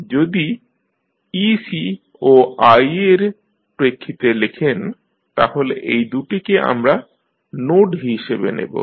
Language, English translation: Bengali, If you write then you write in terms of the ec and i, so, we take these two as a node